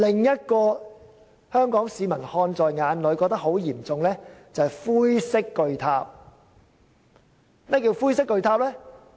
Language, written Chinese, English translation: Cantonese, 現在，香港市民看在眼裏的是灰色巨塔，同樣問題嚴重。, Similarly the great grey tower which now catches the attention of Hong Kong people is also problematic